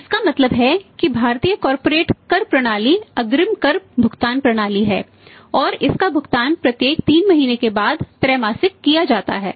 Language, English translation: Hindi, So it means the Indian corporate tax system is the advance tax payment system and that is paid quarterly after every 3 months